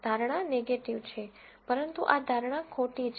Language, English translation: Gujarati, The prediction is negative, but this prediction is false